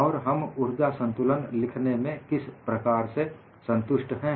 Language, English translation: Hindi, And how we are justified in writing this energy balance